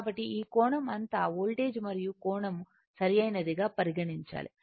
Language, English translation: Telugu, So, all this angle you have to voltage and angle you have to consider right